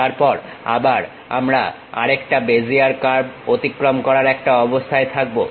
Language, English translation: Bengali, Then first, we will construct a Bezier curve in that